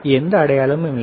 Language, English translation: Tamil, It does not have any sign